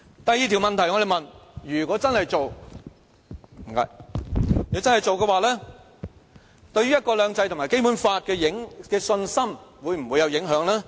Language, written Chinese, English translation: Cantonese, 我們問的第二條問題是，如果真的做，對"一國兩制"和《基本法》的信心會否有影響？, Our second question is if the co - location proposal is really implemented how will this affect your confidence in one country two systems and the Basic Law?